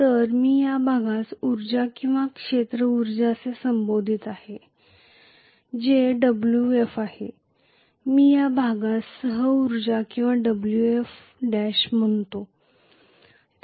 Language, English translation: Marathi, So I am going to call this portion as energy or field energy which is Wf and I am going to call this portion as co energy or Wf dash